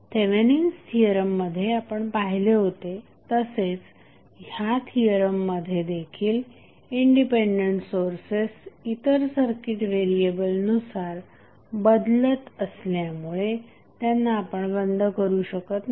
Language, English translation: Marathi, Now, as we saw with the Thevenm's theorem in this theorem also the dependent sources cannot be turned off because they are controlled by the circuit variables